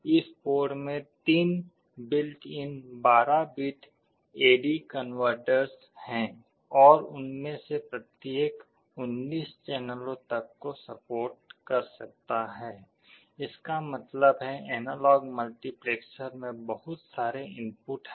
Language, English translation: Hindi, In this board there are 3 built in 12 bit A/D converters and each of them can support up to 19 channels; that means, the analog multiplexer has so many inputs